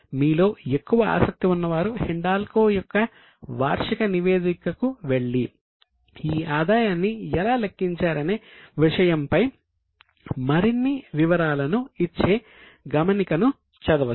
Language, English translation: Telugu, Those who are more interested, you can go to the annual report of Hindalco and read the note that will give more details as to how this revenue has been calculated